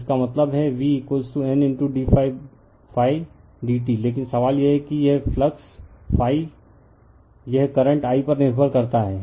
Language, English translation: Hindi, So that means, v is equal to N into d phi by d t right but, question is that this phi the flux phi it depends on the current I